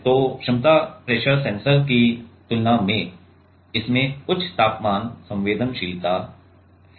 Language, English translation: Hindi, So, this has a higher temperature sensitivity compared to the capacity pressure sensors